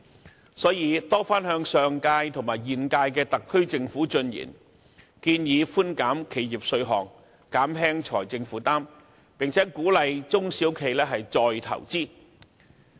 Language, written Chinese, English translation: Cantonese, 就此，經民聯曾多番向上屆和現屆特區政府進言，建議寬減企業稅項，減輕其財政負擔，並鼓勵中小企再投資。, In this connection BPA has repeatedly proposed to the Government of the last term and the current term to lower the tax payable by enterprises so as to relieve their financial burden and encourage small and medium enterprises SMEs to reinvest